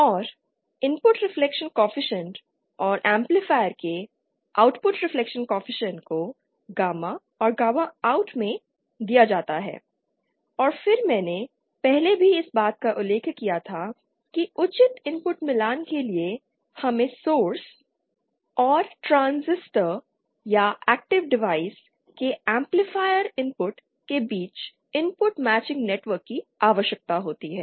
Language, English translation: Hindi, And the input reflection coefficient and the output reflection coefficient of the amplifier are given gamma in and gamma OUT and then I had also mentioned this earlier that for proper input matching we need to place something called input matching network between the source and the amplifier input of the of the transistor or the active device that you are working